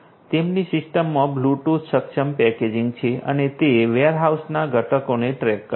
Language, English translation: Gujarati, Bluetooth enabled packaging is there in their system and it tracks the components in the warehouses